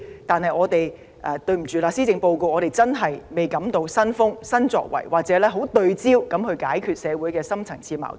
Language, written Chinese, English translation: Cantonese, 但很抱歉，我們感受不到施政報告有新風、新作為，也看不到政府當局聚焦地解決社會的深層次矛盾。, But sorry we do not find any new approaches or any new efforts in the Policy Address . We also cannot see the Administration focus on deep - rooted conflicts and try to resolve them